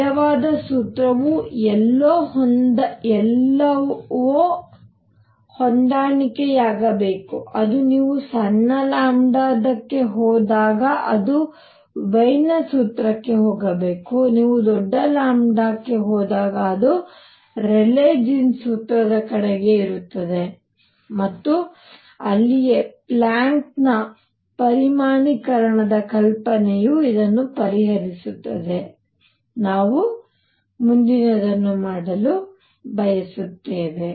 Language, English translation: Kannada, The true formula is somewhere in between that should match everywhere it should go to Wien’s formula when you go to small lambda and it is toward to Rayleigh jeans formula when you go to large lambda and that is where Planck came in and quantization hypothesis actually resolve this and that is what we want to do next